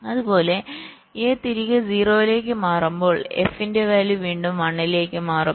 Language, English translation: Malayalam, similarly, when a switches back to zero, the value of f will again switch to one